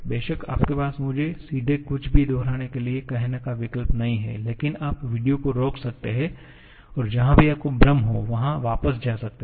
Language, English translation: Hindi, Of course, you do not have the option of asking me to repeat anything directly but you can pause the video and go back wherever you have some confusion